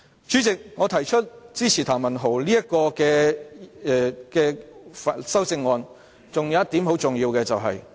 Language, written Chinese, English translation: Cantonese, 主席，我支持譚文豪議員的修正案，還有一個很重要的原因。, Chairman there is another important reason for me to support the CSA proposed by Mr Jeremy TAM